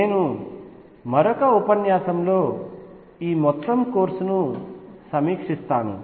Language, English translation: Telugu, I will give one more lecture to review the entire course